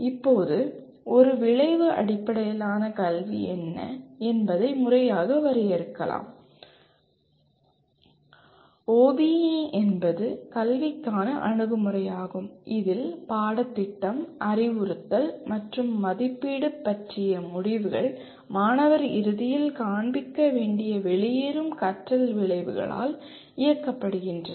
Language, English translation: Tamil, Now, formally defining what an Outcome Based Education, OBE is an approach to education in which decisions about curriculum, instruction and assessment are driven by the exit learning outcomes that the student should display at the end of a program or a course